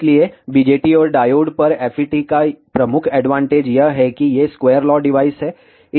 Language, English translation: Hindi, So, the major advantage FETs have over BJTs and diodes is that these are square law devices